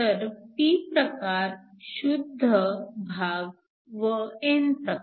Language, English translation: Marathi, So, you have a p type intrinsic and an n type